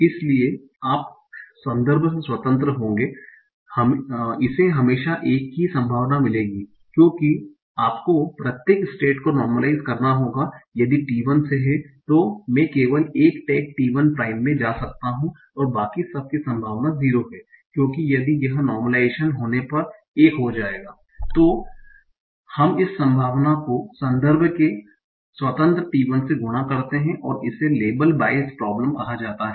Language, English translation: Hindi, So was only one tag possible so you will in independent of the context it will always get a probability of 1 because you have to normalize it each state so that is if from t 1 i can only go to 1 tag t1 prime and everything else has a probability of 0 because of normalization this will become 1 so we multiply this probability by 1 independent of the context and this is called as the label bias problem and this comes because you are normalizing at easy step